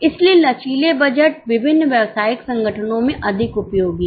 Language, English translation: Hindi, So, flexible budgets are more useful in various commercial organizations